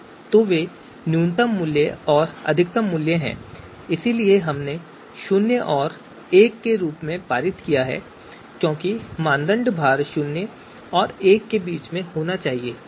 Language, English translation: Hindi, So that is the min value and max value, so that we have passed on a zero and one because the criteria weights it has to be between zero and one